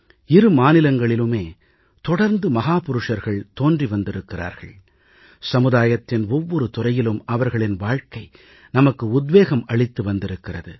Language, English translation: Tamil, And both the states had a steady stream of great men whose lives and sterling contributions in every sphere of society is a source of inspiration for us